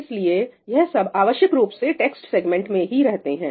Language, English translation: Hindi, So, all of this is essentially residing in the text segment